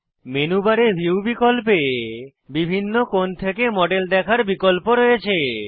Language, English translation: Bengali, View menu on the menu bar, has options to view the model from various angles